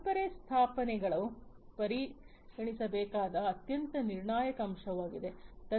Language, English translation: Kannada, Legacy installations are a very crucial aspect to be considered